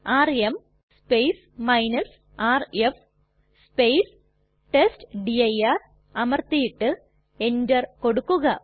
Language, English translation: Malayalam, Press rm rf testdir and then press enter